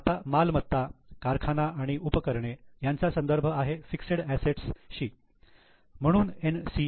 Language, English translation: Marathi, Now, property, plant and equipment, these are referring to fixed assets, it is NCA